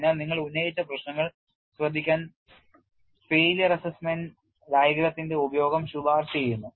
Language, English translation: Malayalam, So, to take care of the issues that you have raised, the use of failure assessment diagram is recommended